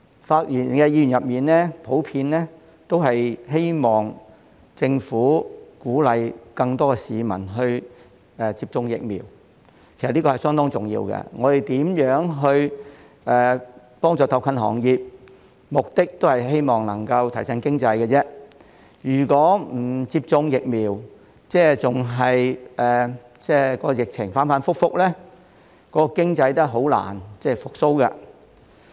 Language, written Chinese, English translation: Cantonese, 發言的議員普遍希望政府鼓勵更多市民接種疫苗，其實這是相當重要的，不論我們如何幫助特困行業，目的也是希望能夠提振經濟，如果市民不接種疫苗，疫情仍然反覆，經濟也是難以復蘇的。, Members who have spoken generally hope that the Government will encourage more people to get vaccinated which is actually quite important . The purpose of providing assistance to hard - hit industries is to boost the economy . If the public do not get vaccinated the epidemic will remain volatile and the economy can hardly recover